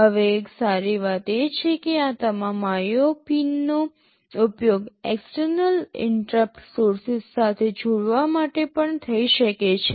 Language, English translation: Gujarati, Now, one good thing is that all these IO pins can also be used to connect with external interrupt sources